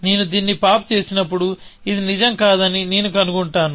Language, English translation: Telugu, So, when I popped this out, I will find that this is not true